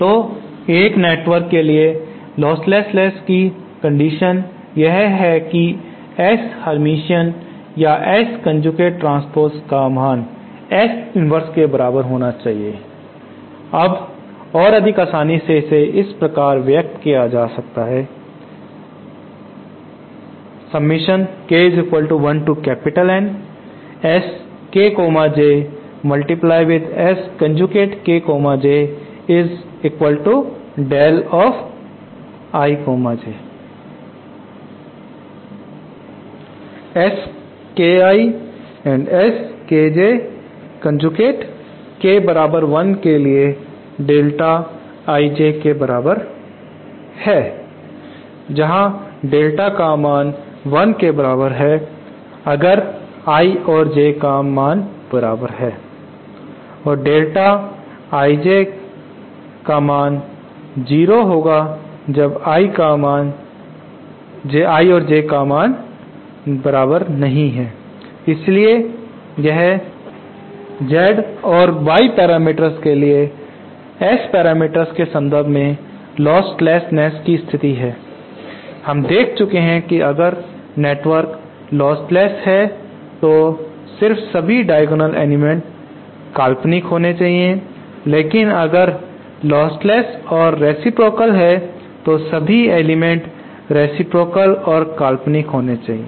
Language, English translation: Hindi, So for a network to be lostless the unitary condition that is S hermatian or S conjugate transpose should equal to S inverse now [mos] more conveniently this is expressed like thisÉ S K I S K J conjugate K equal to 1 is equal to delta I J where delta I J is 1 if I equal to J or equal to 0 for I not equal to 0 so this is the condition for listlessness in terms of the S parameter for a for the Z and Y parameter matrices we had seen that if the network is just lostless then only the diagonal elements should be purely imaginary if it is but lostless and reciprocal then all the elements should be reciprocal and imaginary